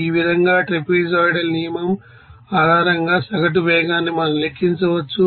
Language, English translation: Telugu, So, in this way, we can calculate this, you know average velocity based on trapezoidal rule